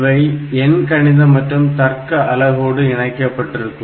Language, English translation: Tamil, So, they are, they are actually in conjunction with this arithmetic logic unit